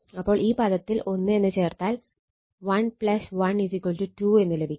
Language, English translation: Malayalam, So, this term you put is equal to 1 such that 1 plus 1 you are getting 2 right